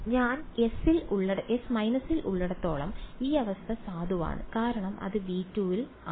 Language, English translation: Malayalam, As long as I am in S minus this condition is valid because its in V 2 right